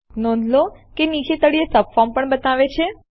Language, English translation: Gujarati, Notice it also shows a subform at the bottom